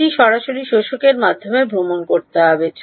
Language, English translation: Bengali, It has to travel through the absorber right